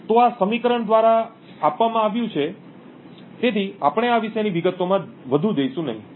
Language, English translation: Gujarati, So, this is given by this particular equation, so we will not go more into details about this